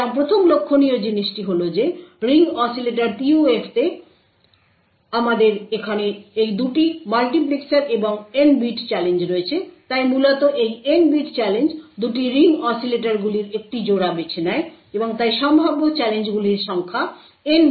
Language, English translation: Bengali, So, the 1st thing to note is that in Ring Oscillator PUF we have these 2 multiplexers here and N bit challenge, so they are essentially N bit challenge is choosing a pair of these 2 ring oscillators and therefore the number of challenges possible is N chose 2